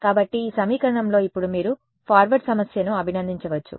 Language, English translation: Telugu, So, in this equation, now you can appreciate the forward problem